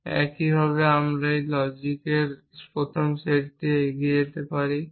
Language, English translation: Bengali, So, what is the reasoning mechanism that we can use in first set of logic